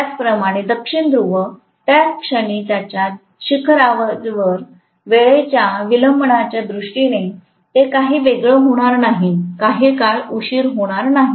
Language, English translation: Marathi, Similarly, South Pole at its peak at the same instant, it is not going to be any different at all in terms of the time delay, there will not be any time delay